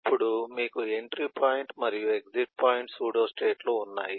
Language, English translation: Telugu, then you have eh entry point and eh exit point, eh pseudostates